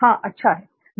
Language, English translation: Hindi, Yeah that is a good idea